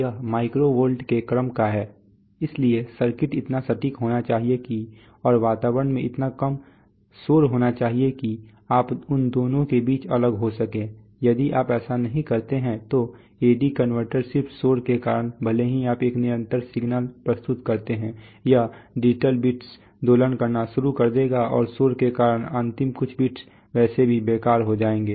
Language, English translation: Hindi, It is it is of the order of micro volts, so the circuit should be so accurate that and the environment should be so less noisy, that you will be able to separate between those, if you do not do that then you A/D converter just because of noise it will, this even if you present a constant signal it is the digital bits will start oscillating and the last few bits will anyway the useless, because of noise